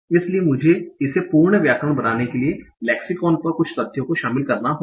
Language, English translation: Hindi, So I have to include some facts from the lexicon to make it a complete grammar